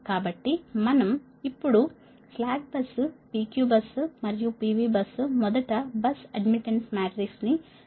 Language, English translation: Telugu, so with this in our mind, slack bus, p q bus and p v bus now will move to see that first the bus admittance matrix, right